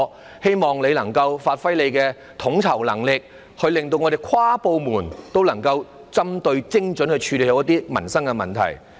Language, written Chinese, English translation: Cantonese, 我希望他能夠發揮統籌能力，使各部門能夠有針對性地、精準地處理民生問題。, I hope he can give play to his ability of coordination so that various departments can deal with livelihood issues in a targeted and precise manner